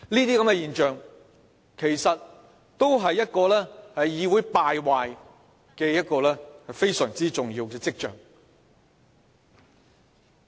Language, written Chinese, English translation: Cantonese, 這些現象其實也是呈現議會敗壞非常重要的跡象。, Actually these are important signs of how the legislature has degenerated